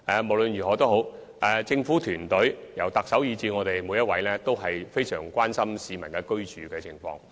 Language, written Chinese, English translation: Cantonese, 無論如何，政府團隊內由特首以至我們每一位官員，均相當關心市民的居住情況。, In any case every one of us in the governance team from the Chief Executive to each senior official is very concerned about the living condition of the general public